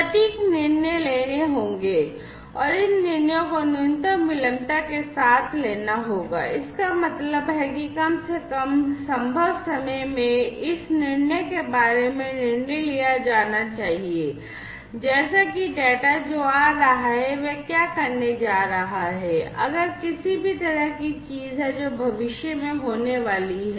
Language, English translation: Hindi, Accurate decisions will have to be taken and these decisions will have to be taken with minimal latency; that means, in least possible time, this decision will have to be taken about decision means like you know what is the you know the data that are coming, what it is going to do you know what if there is any kind of thing that is going to happen in the future